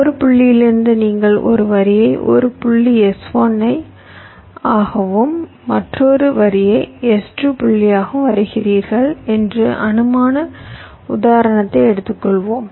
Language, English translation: Tamil, it may so happen that lets take hypothetic example that from one point you are drawing a line to a point s one and another line to a point s two